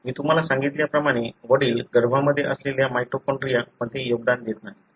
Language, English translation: Marathi, As I told you, father doesn’t contribute to the mitochondria that are there in the embryo